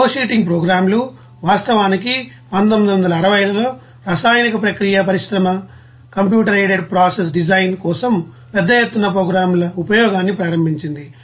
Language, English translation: Telugu, And flowsheeting programs, what is that actually in 1960s, the chemical process industry initiated the use of large scale programs for computer aided process design